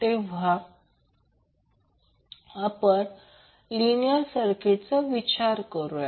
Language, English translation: Marathi, So, now again let us consider the circuit we consider a linear circuit